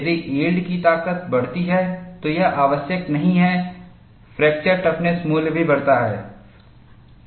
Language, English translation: Hindi, If the yield strength increases, it is not necessary fracture toughness value also increases